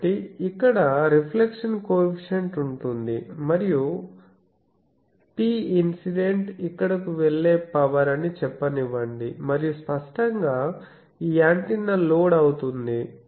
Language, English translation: Telugu, So, here there will be a reflection coefficient and let me say that P incident is the power going here and obviously this antenna is as will be load